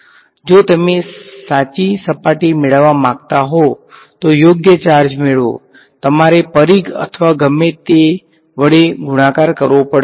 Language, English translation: Gujarati, If you want to get the correct surface get the correct charge you have to multiply by the circumference or whatever